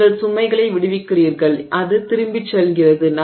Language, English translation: Tamil, So, you release the load it goes back